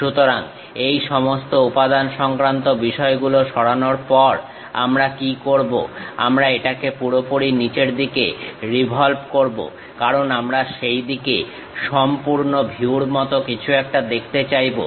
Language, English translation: Bengali, So, what we do is after removing this entire materials thing, we revolve it down all the way; because we would like to see something like a complete view in this direction